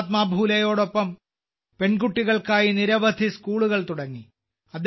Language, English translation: Malayalam, Along with Mahatma Phule ji, she started many schools for daughters